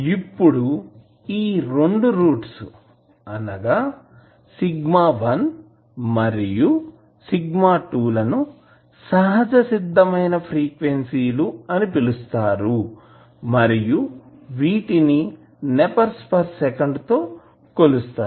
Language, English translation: Telugu, Now, these 2 roots that is sigma1 and sigma2 are called natural frequencies and are measured in nepers per second